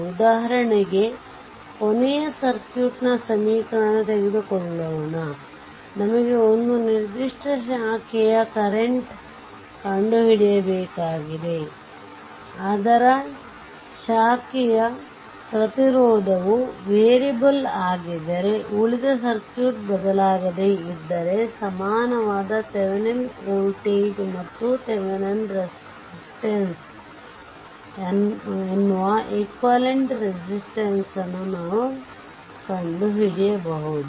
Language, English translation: Kannada, And if that branch your what you call and if the branch resistance is variable say but rest of the circuit is unchanged, then the rest of the circuit we can find out to an equivalent your what you call voltage called Thevenin voltage and equivalent resistance called Thevenin resistance